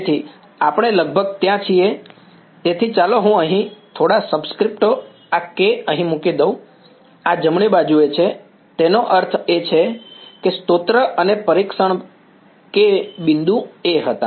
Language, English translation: Gujarati, So, we are almost there; so, let me put a few subscripts here this K over here, this is a on a right; that means, the source and the testing point were A and A